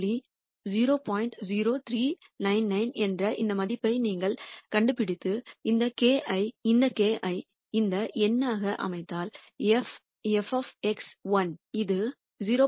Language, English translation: Tamil, 0399 and then set this k to be this number whatever was f of X 1 which is 0